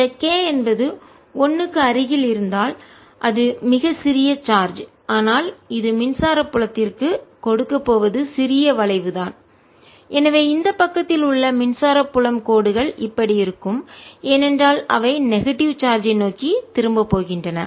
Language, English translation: Tamil, if k is close to one, it's a very small charge, but what it is going to give is little curvature to the electric field and therefore the electric field lines on this side are going to look like this because they are going to turn towards charge, the negative charge